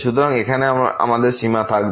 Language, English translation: Bengali, So, this will be the limit now here